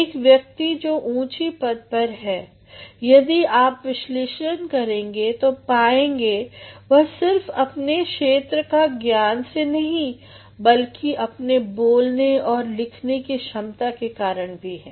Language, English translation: Hindi, A man who is today at a very lofty position, if you analyze, you will find he is there not only because of his subject matter but also because of his speaking and writing skills